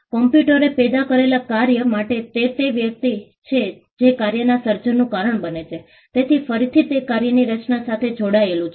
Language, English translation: Gujarati, For computer generated work it is the person who causes the work to be created, so again it is tied to the creation of the work